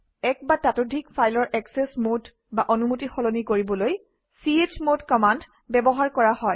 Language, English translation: Assamese, chmod command is used to change the access mode or permissions of one or more files